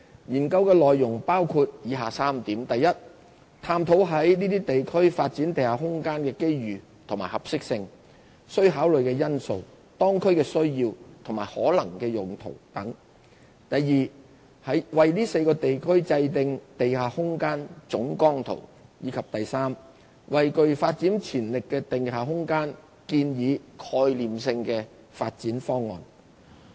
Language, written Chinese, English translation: Cantonese, 研究內容包括以下3點： i 探討在這些地區發展地下空間的機遇和合適性、須考慮的因素、當區的需要及可能用途等；為這4個地區制訂地下空間總綱圖；以及為具發展潛力的地下空間建議概念性的發展方案。, The scope of the Study includes the following three aspects i identify the opportunities suitability and considerations for developing the underground space in these areas the needs of local communities as well as possible uses of locations with potential for underground space development; ii formulate Underground Master Plans for these four areas; and iii develop conceptual development schemes for the potential underground space development